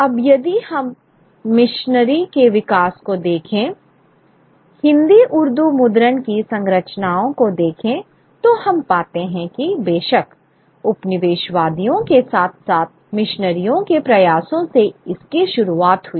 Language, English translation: Hindi, Now, if we look at the development of the machinery, the kind of structures of Hindi Burdu printing, we find that the efforts of course began with the colonizers as well as the missionaries